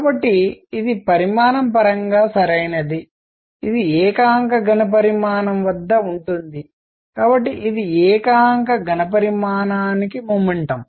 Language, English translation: Telugu, So, this is dimensionally correct this is at per unit volume; so, this is momentum per unit volume